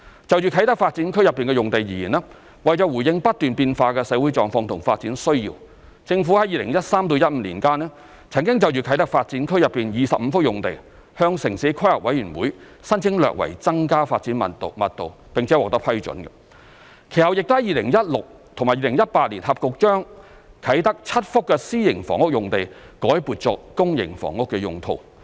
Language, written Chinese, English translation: Cantonese, 就啟德發展區內的用地而言，為回應不斷變化的社會狀況和發展需要，政府於2013年至2015年間，曾就啟德發展區內25幅用地向城市規劃委員會申請略為增加發展密度並獲批准，其後亦於2016年及2018年合共將啟德7幅私營房屋用地改撥作公營房屋用途。, For the sites in the Kai Tak Development Area KTDA in response to the changing social conditions and development needs the Government made applications to the Town Planning Board during the period between 2013 and 2015 for slight increase in the development intensity of 25 sites in KTDA and was granted approval . Subsequently in 2016 and 2018 a total of seven private housing sites in Kai Tak were re - allocated for public housing